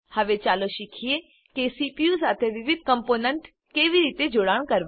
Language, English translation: Gujarati, Now, lets learn how to connect the various components to the CPU